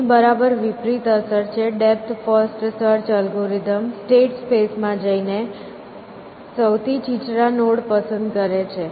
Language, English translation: Gujarati, It has a exactly the opposite effect, depth first search dives into the state space, this algorithm chooses the shallowest nodes first